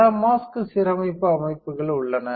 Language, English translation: Tamil, There are several mask aligner systems